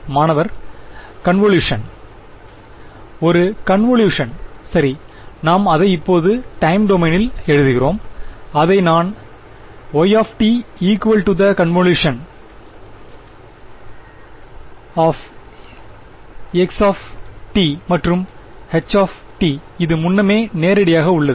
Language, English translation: Tamil, If a convolution right so I just write it in time domain I write this as y is equal to the convolution of x and h alright pretty straight forward